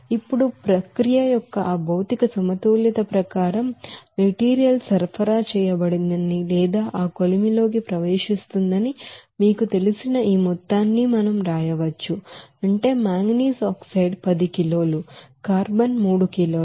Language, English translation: Telugu, Now as per that material balance of the process we can write this amount of you know material is supplied or entering to that furnace, that is manganese oxide 10 kg, carbon is 3 kg